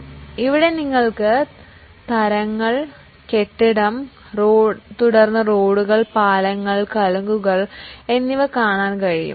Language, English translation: Malayalam, So, here you can see the types, building, then roads, bridges and culverts